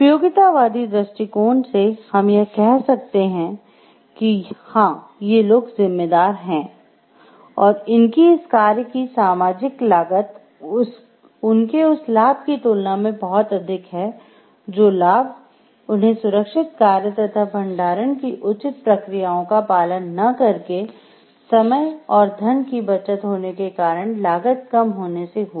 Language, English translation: Hindi, Then from the utilitarian perspective, we can say like yes these people are responsible, and it is the cost is much more cost the social cost of their action is much more as compared to the benefits of their action that is maybe time saved or money saved by not followed the proper processes of storing things safe processes